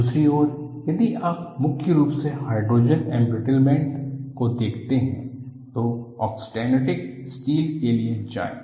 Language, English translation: Hindi, On the other hand, if you are going to have predominantly hydrogen embrittlement, go for austenitic steels